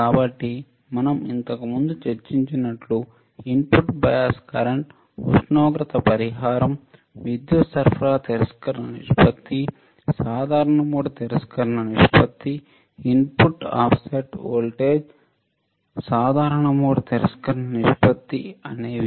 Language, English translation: Telugu, So, like we have discussed earlier which are the input bias current right, temperature compensation, power supply rejection ratio, common mode rejection ratio, input offset voltage, CMRR right common mode rejection ratio